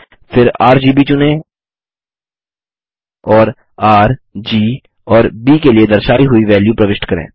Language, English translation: Hindi, Then, select RGB and enter the values for R, G and B as shown